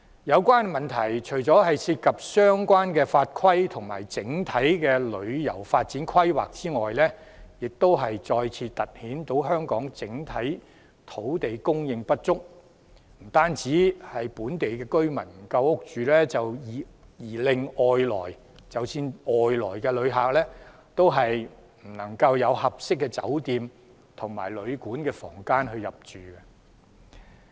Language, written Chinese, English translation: Cantonese, 有關問題除了涉及相關法規及整體旅遊發展規劃外，亦再次突顯香港整體土地供應不足，不單本地居民沒有足夠房屋居住，外來旅客亦沒有合適的酒店及旅館房間以供入住。, These problems are not only related to laws and regulation or overall planning of tourism development but once again highlight the overall shortage of land in Hong Kong . While there are insufficient housing units for local residents decent hotels or hostels for inbound travellers are also in short supply